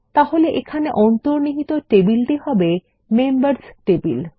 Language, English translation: Bengali, Here the underlying table would be Members